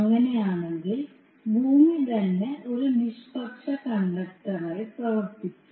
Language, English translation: Malayalam, So in that case the earth itself will act as a neutral conductor